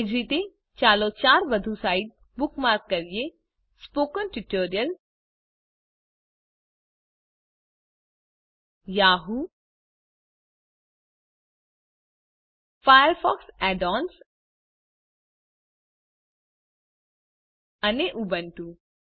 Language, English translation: Gujarati, * In the same manner, lets bookmark four more sites Spoken Tutorial, Yahoo,Firefox Add ons andUbuntu